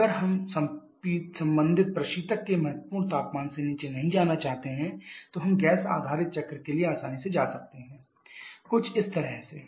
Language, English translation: Hindi, If we are not looking to go below the critical temperature of the corresponding refrigerant then we can easily go for the gas based cycle something like this